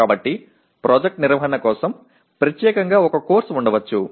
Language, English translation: Telugu, So there may be a course exclusively for project management